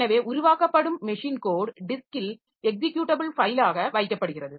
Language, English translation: Tamil, So, machine code that is generated is kept as a executable file in the disk